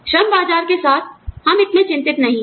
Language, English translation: Hindi, We are not, so much concerned, with the labor market